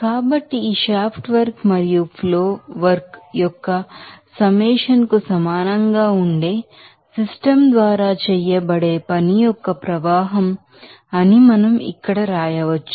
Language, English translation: Telugu, So, here we can write that the flow of work done by the system that will be equal to summation of this shaft work and flow work